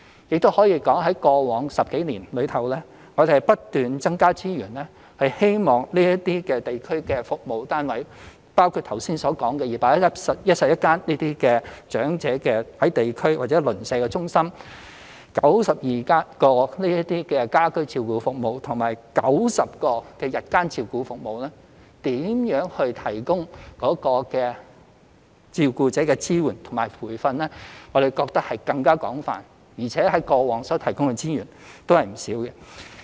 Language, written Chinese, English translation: Cantonese, 也可以說，在過往10多年，我們不斷增加資源，希望這些地區服務單位，包括剛才提到的211間長者地區中心/長者鄰舍中心、92支家居照顧服務隊、90間長者日間護理中心/單位等，提供照顧者的支援和培訓，我們覺得這更為廣泛，而且過往提供的資源也不少。, It can also be said that over the past 10 years or so we have kept on allocating additional resources to these district service units including the 211 District Elderly Community CentresNeighbourhood Elderly Centres 92 home care service teams and 90 Day Care CentresUnits for the Elderly mentioned earlier to provide carer support and training . We consider that the services are more extensive and considerable resources have also been provided in the past